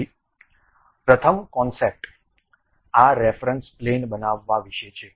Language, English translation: Gujarati, So, the first concepts is about constructing this reference plane